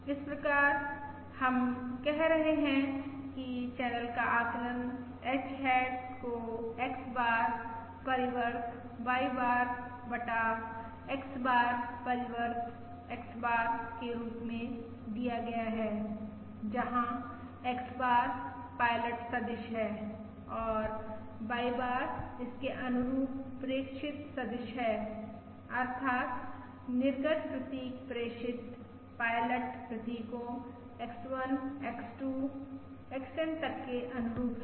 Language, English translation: Hindi, So we are saying that the channel estimate H hat is given as X bar transpose Y bar, divided by X bar transpose X bar, where X bar is the pilot vector and Y bar is the corresponding observation vector, that is the output symbols corresponding to the transmitted pilot symbols: X1, X2… Up to XN